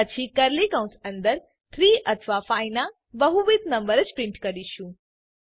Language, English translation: Gujarati, Then inside the curly brackets We print the number only if it is a multiple of 3 or 5